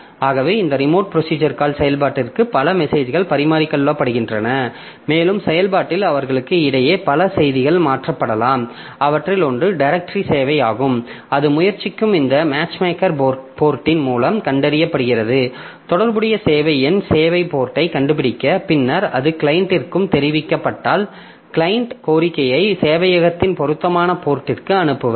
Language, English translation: Tamil, So, this way a number of messages are exchanged for this remote procedure called execution and in the process a number of messages will be transferred between them and one of them is the directory service where it is find by by means of this matchmaker port it is trying to find out the corresponding service number service port and then once that is informed to the client then a client will send the request to the appropriate port of the server so this way rPC is execute and that helps in invoking remote procedures over a network